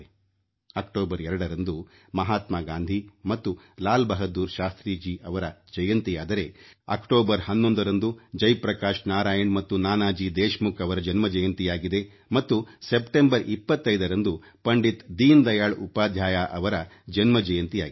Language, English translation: Kannada, 2nd October is the birth anniversary of Mahatma Gandhi and Lal Bahadur Shastri, 11th October is the birth anniversary of Jai Prakash Narain and Nanaji Deshmukh and Pandit Deen Dayal Upadhyay's birth anniversary falls on 25th September